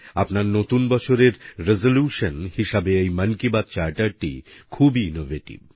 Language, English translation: Bengali, The Mann Ki Baat Charter in connection with your New Year resolution is very innovative